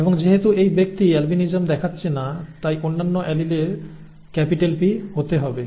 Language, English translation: Bengali, And since this person is not showing albinism allele has to be capital P